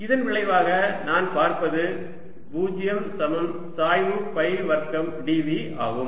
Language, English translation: Tamil, as a consequence, what i see is zero equals grad phi square d v